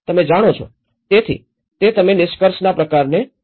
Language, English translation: Gujarati, You know, so that is you know the kind of conclusion